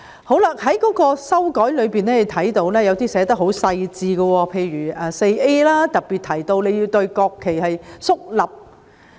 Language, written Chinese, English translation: Cantonese, 我們在修訂中看到，有些條文寫得很細緻，例如第 4A 條，特別提到在面向國旗時要肅立。, We can see in the amendment that some of the provisions are written in great detail for example section 4A specifically mentions the need to stand solemnly when facing the national flag